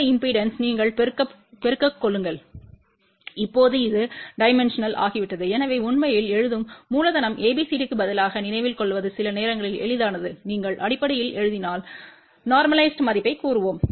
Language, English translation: Tamil, You multiply with this impedance, now this become dimensional so in fact, it is sometimes easier to remember instead of a writing capital ABCD if you write in terms of let us say normalized value